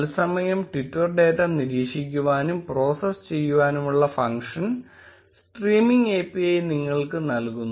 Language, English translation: Malayalam, The streaming API gives you the functionality to monitor and process twitter data in real time